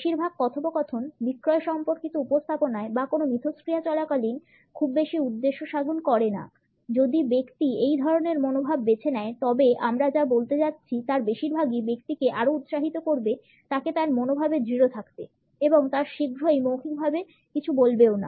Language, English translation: Bengali, Most of the dialogue is not going to serve much purpose during any sales related presentations or in any interaction, if the person has opted for this type of an attitude most of what we are going to say would further encourage the person to clamp his or her attitude in a force full manner and the no would soon be verbalized